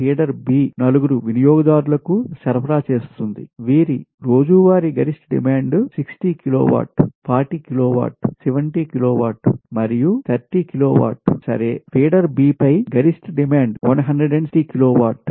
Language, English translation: Telugu, similarly for feeder b, it supplies four consumers whose daily maximum demand are sixty kilowatt, forty kilowatt, seventy kilowatt and thirty kilowatt right, while maximum demand on feeder b is one sixty kilowatt right